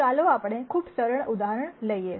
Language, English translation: Gujarati, So, let us take a very, very simple example